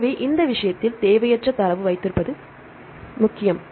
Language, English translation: Tamil, So, in this case, it is important to have a non redundant data